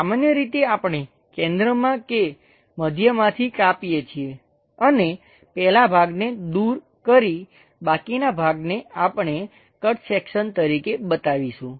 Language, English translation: Gujarati, Usually, we cut at center middle, remove the first part, the remaining left over portion, we will show it like a cut section